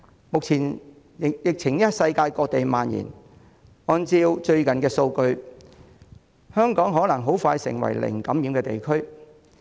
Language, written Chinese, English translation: Cantonese, 疫情目前在世界各地蔓延，按照最近的數據，香港可能很快成為零感染的地區。, The disease now spreads around the world . According to the latest figures Hong Kong may soon become a region with zero infection